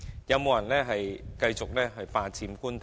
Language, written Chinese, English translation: Cantonese, 有沒有人繼續霸佔官地？, Has anyone continued to occupy Government land illegally?